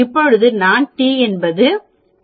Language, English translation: Tamil, Now t as I said is 2